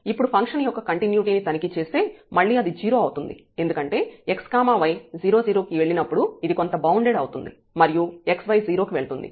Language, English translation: Telugu, Now checking the continuity of the function is again e 0, because when x y goes to 0 0 this is something bounded sitting here and x y goes to 0